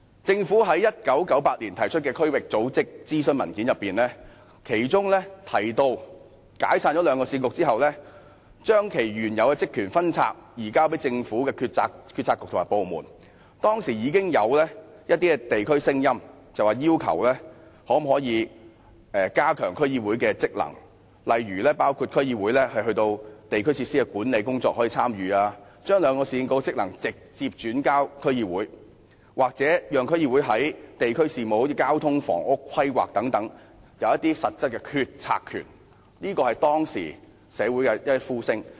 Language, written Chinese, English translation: Cantonese, 政府在1998年提出的區域組織諮詢文件中提到，解散兩個市政局後，會將其原有的職權分拆和移交政府的政策局及部門，當時地區上已經有聲音要求加強區議會的職能，例如區議會可參與地區設施的管理工作，將兩個市政局的職能直接轉授區議會，又或讓區議會在地區事務，例如交通、房屋規劃等有一些實質的決策權，這是當時社會上的呼聲。, In the consultation document on district organizations published by the Government in 1998 the Government mentioned that after the dissolution of the two Municipal Councils their original duties and functions would be split and transferred to Policy Bureaux and government departments . Back then there were already voices in the districts calling for strengthening of the functions of DCs by for instance allowing DCs to take part in the management of district facilities transferring the functions of the two Municipal Councils to DCs direct or giving DCs substantive policy - making powers in district affairs in such aspects as transport planning of housing and so on . There were these calls in society at that time